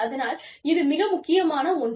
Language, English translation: Tamil, So, that is absolutely essential